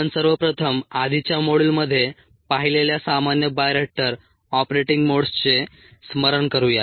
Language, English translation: Marathi, let's first recall the common bioreactor operating modes that we saw in the previous module